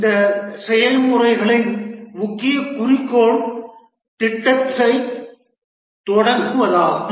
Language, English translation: Tamil, The main goal of these processes is to start off the project